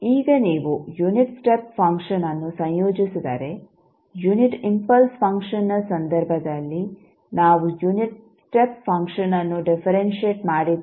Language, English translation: Kannada, Now, if you integrate the unit step function so in case of unit impulse function we differentiated the unit step function